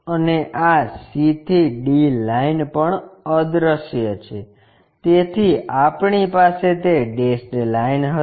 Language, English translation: Gujarati, And this c to d line also invisible, so we will have that dashed line